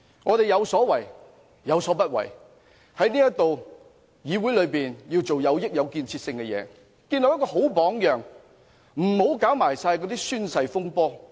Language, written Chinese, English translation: Cantonese, 我們有所為，有所不為，在議會內便要做有益、有建設性的事情，建立好榜樣，不要搞甚麼宣誓風波。, In the Council we should do useful and constructive things to set a good example but we should not engage in the so - called oath - taking controversy